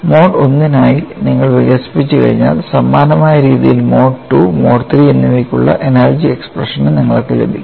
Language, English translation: Malayalam, Once you have developed for mode 1 on a similar fashion, you could also get the energy expression for mode 2 as well as mode 3